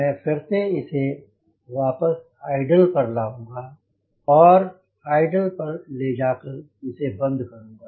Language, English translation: Hindi, now i will bring it back to idle and then i will switch off